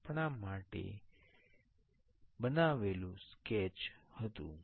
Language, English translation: Gujarati, This was the sketch we have made for that